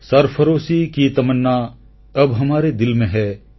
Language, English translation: Odia, Sarfaroshi ki tamanna ab hamare dil mein hai